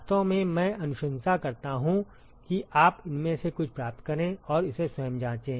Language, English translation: Hindi, In fact, I would recommend that you should derive some of these and check it by yourself